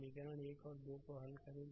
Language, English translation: Hindi, You solve equation 1 and 2